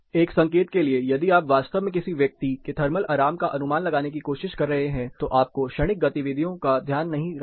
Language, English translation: Hindi, Just the quick hint if you are really training to estimate the thermal comfort of a person it is not the momentary activity that you have to be taking care of